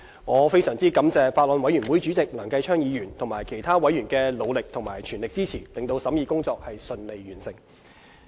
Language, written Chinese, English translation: Cantonese, 我非常感謝法案委員會主席梁繼昌議員及其他委員的努力和全力支持，令審議工作順利完成。, I am very grateful to Chairman of the Bills Committee Mr Kenneth LEUNG and other members for their efforts and full support to enable the smooth completion of the scrutiny of the Bill